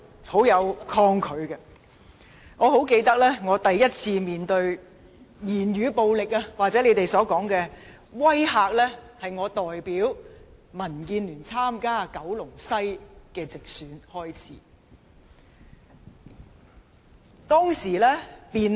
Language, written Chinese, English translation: Cantonese, 我清楚記得，我第一次面對語言暴力或大家所說的"威嚇"，是在我代表民建聯參加九龍西直選時。, I remember clearly that the first time I had faced verbal violence or intimidation as Members call it was the time when I stood for the direct election of the Kowloon West constituency as a DAB representative